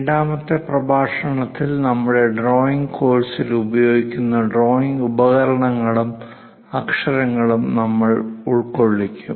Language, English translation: Malayalam, In the second lecture, we are covering drawing instruments and lettering used in our drawing course